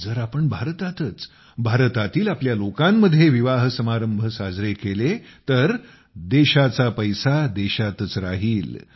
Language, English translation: Marathi, If we celebrate the festivities of marriages on Indian soil, amid the people of India, the country's money will remain in the country